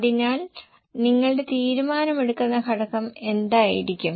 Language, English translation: Malayalam, So, what will be your decision making factor